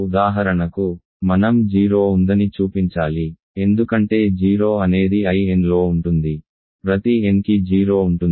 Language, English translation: Telugu, For example, we have to show that 0 is there, but that is OK, because 0 is in I n of course, for every n so 0 is there